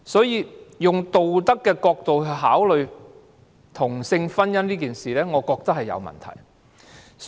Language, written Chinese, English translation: Cantonese, 因此，以道德的角度考慮同性婚姻這事，我覺得是有問題的。, Therefore I believe it is improper to consider the issue of same - sex marriage from a moral perspective